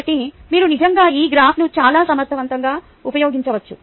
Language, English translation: Telugu, so you can actually use this graph very effectively to compare